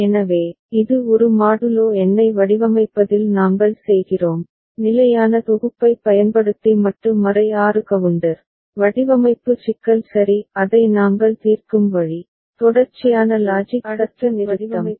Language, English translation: Tamil, So, this is the thing that we are doing in designing a modulo number, modulo 6 counter using standard synthesis, design problem ok the way we solve it, sequential logic circuit design problem